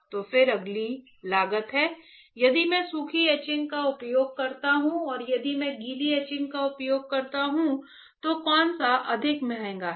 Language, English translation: Hindi, So, then next is a cost; if I use dry etching and if I use wet etching, which is more costly right